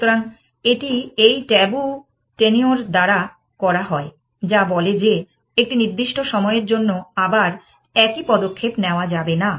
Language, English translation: Bengali, So, it does this by having this tabu tenure, which says that for a certain period of time do not make the same move again essentially